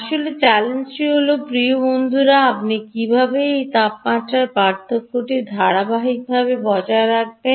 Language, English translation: Bengali, the real challenge is, dear friends, how do you maintain this temperature differential continuously